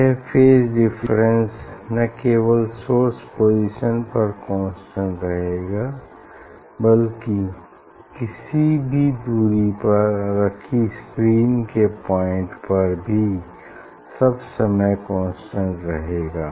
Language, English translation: Hindi, these phase difference constant not only at the source level source position, but it has to be at a point on screen at any distance for all the time